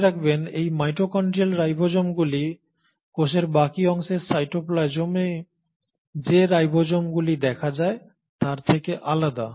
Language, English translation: Bengali, And these mitochondrial ribosomes are, mind you, are different from the ribosomes which will be seen in the cytoplasm of the rest of the cell